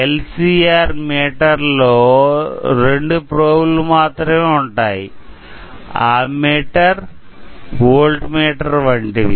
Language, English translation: Telugu, You can see here in the LCR meter there are only two probes like an ammeter or a voltmeter